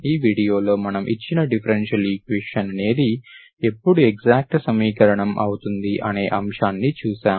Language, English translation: Telugu, In this video we have seen that the given differential equation is, so when, so when it is exact equation